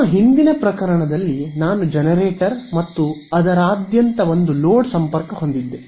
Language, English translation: Kannada, Remember in our earlier case, I had the generator and one load connected across it